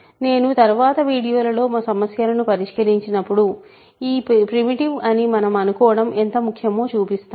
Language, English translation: Telugu, So, I will in the next videos when I do problem sets, I will show why this primitive is important assumption